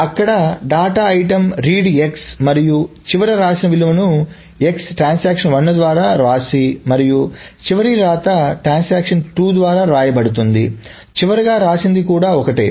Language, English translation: Telugu, Number two, if there is a data item X and the final rights, the written values that X is written to by transaction 1 and the final right by transaction 2, the final rights are also the same